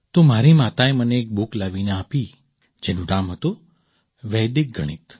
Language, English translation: Gujarati, So, my mother brought me a book called Vedic Mathematics